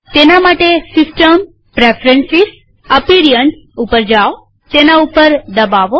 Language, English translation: Gujarati, For that go to System gtPreferences gtAppearance